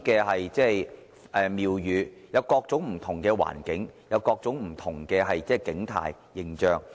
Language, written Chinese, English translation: Cantonese, 我們有各種不同的環境，有各種不同的景態。, We have different types of environments and landscapes